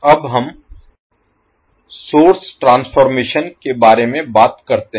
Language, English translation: Hindi, Now let us talk about the source transformation